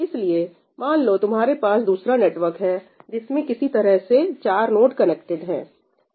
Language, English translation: Hindi, So, suppose you have another network where this is the way the 4 nodes are connected